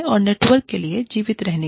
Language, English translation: Hindi, And, for the network, to survive